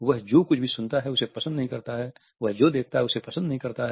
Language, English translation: Hindi, He does not like what he hears, he does not like what he sees